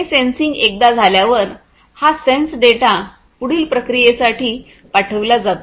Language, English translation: Marathi, So, this sensing once it is done, this sensed data is sent for further processing